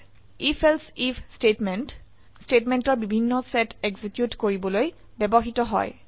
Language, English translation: Assamese, If…Else If statement is used to execute various set of statements